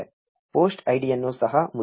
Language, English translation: Kannada, Let us print the post id too